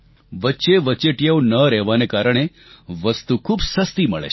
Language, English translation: Gujarati, As there are no middlemen, the goods are available at very reasonable rates